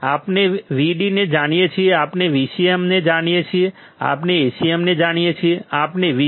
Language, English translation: Gujarati, We know Vd, we know Vcm, we know Acm